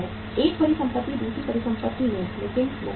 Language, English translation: Hindi, One asset into another asset but not into the cash